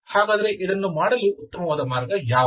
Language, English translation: Kannada, So what is the best way to do this